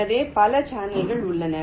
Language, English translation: Tamil, so there are so many channels